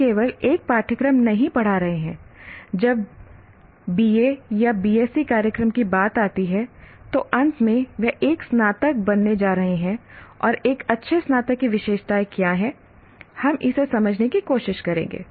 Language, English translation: Hindi, When he comes to a BA or a BSE program, at the end he is going to become a graduate and what are the characteristics of a good graduate